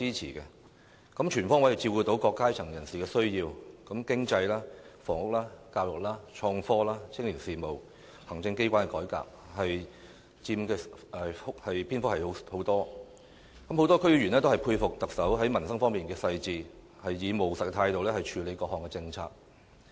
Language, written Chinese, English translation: Cantonese, 施政報告全方位照顧各階層人士的需要，而經濟、房屋、教育、創科、青年事務和行政機關的改革所佔篇幅很多，很多區議員也佩服特首在民生方面的細緻，以務實的態度處理各項政策。, This Policy Address is comprehensive in scope able to answer the needs of different social sectors . It devotes very long treatment to the economy housing education innovation and technology youth affairs and reform of the executive authorities . Many District Council members admire the Chief Executives thoroughness in dealing with livelihood issues and her pragmatic approach in various policy areas